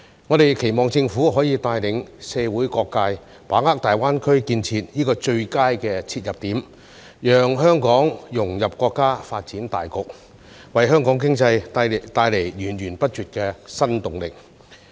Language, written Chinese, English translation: Cantonese, 我們期望政府可以帶領社會各界，把握大灣區建設的最佳切入點，讓香港融入國家發展大局，為香港經濟帶來源源不絕的新動力。, We hope that the Government will lead various sectors of the community to grasp the best entry point for the GBA development so that Hong Kong can integrate into the overall development of the country and bring new and continuous impetus to the Hong Kong economy